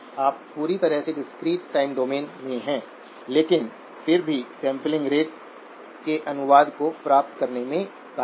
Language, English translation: Hindi, You stayed completely in the discrete time domain but nevertheless, managed to achieve the translation of the sampling rate